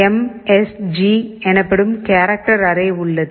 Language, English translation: Tamil, There is a character array called msg